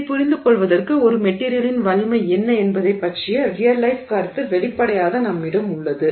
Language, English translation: Tamil, So, to understand this we have, we obviously have a, you know, a real life perception of what is strength of a material